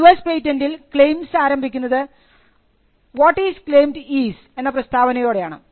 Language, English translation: Malayalam, The claim in a US patent begins with the statement what is claimed is